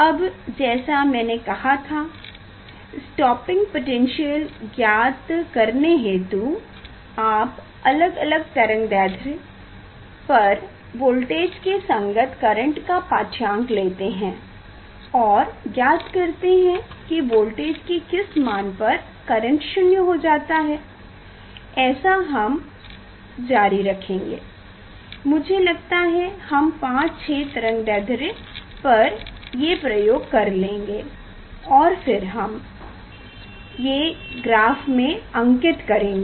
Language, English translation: Hindi, Now, so determination of stopping potential; as I mention, so you take different wavelength and for each wavelength you note down the change the voltage and corresponding current, and find out that which voltage the current becoming 0, that is a we will continue, we will use I think 6, 5 or 6 wavelength for this experiment and then we will plot them